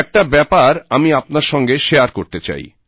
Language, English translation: Bengali, I would like to share something with you